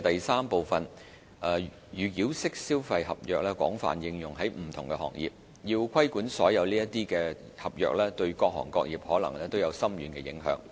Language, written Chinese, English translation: Cantonese, 三預繳式消費合約廣泛應用於不同行業，要規管所有這類合約，對各行各業可能都有深遠影響。, 3 Consumer contracts involving pre - payment are commonplace in many industries . The regulation of all such contracts would have significant implications on many trades and industries